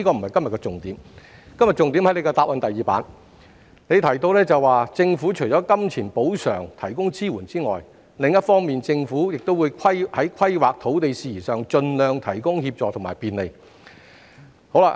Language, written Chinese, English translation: Cantonese, 我今天的重點在於局長的主體答覆第二頁，當中提到："......政府的金錢補償可提供支援，另一方面政府也會在規劃及土地事宜上盡量提供協助及便利。, My focus today is on the second page of the Secretarys main reply which states the Government would offer assistance and facilitation in relation to planning and land matters as far as possible apart from granting the aforesaid monetary compensation